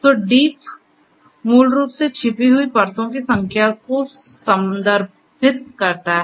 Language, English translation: Hindi, So, deep basically refers to the number of hidden layers